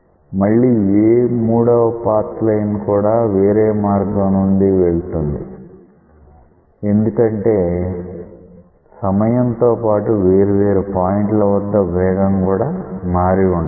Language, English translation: Telugu, And, again the path line is different because the velocity might have changed at different points with time